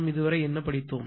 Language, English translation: Tamil, What we have studied